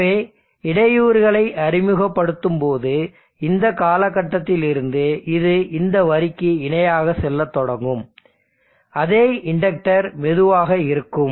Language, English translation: Tamil, So when you introduce the disturbance now from this point onwards it will start going parallel to this line, it will have the same inductor slow